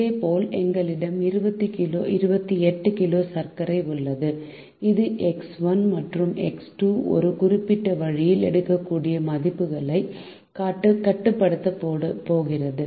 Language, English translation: Tamil, similarly, we have twenty eight kg of sugar, which is going to restrict the values that x one and x two can take in a certain way